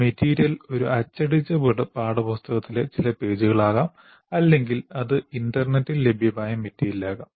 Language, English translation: Malayalam, And there they can be certain pages in a printed textbook or it could be material that is available on the internet